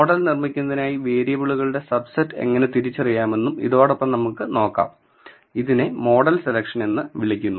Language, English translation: Malayalam, We will also look at how to identify the subset of variables to build the model, this is called model selection